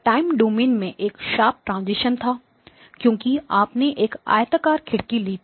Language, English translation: Hindi, And so did; was there a sharp transition in the time domain, yes because you took a rectangular window